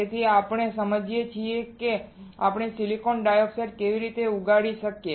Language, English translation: Gujarati, So, right now what we understood is how we can grow silicon dioxide